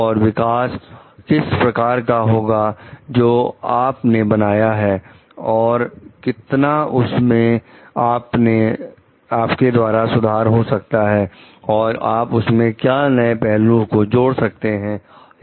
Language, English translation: Hindi, And what are the nature of developments that you have made and how much improvement you have made what new like perspectives that you have given to it